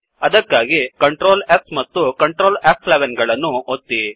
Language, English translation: Kannada, So press Ctrl,S and Ctrl , F11